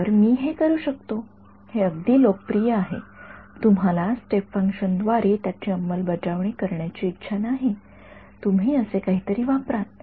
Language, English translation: Marathi, So, I can so, it is very very popular right you will not want to implement it via step function, you will use something like this ok